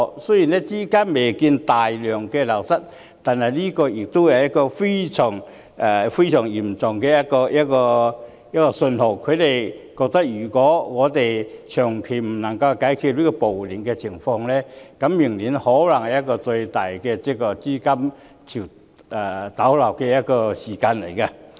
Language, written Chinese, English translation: Cantonese, 雖然資金未見大量流失，但這是一個非常嚴重的信號，他們認為如果長期無法解決暴亂的情況，明年可能會出現最大的資金逃離潮。, While outflow of funds on a massive scale has not been seen this is already a serious signal . They hold that if the riots cannot be resolved over a prolonged period a massive outflow of funds may emerge next year